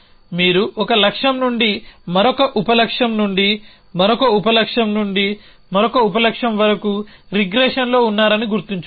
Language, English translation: Telugu, Remember that you have regressing from 1 goal to another sub goal to another sub goal to another sub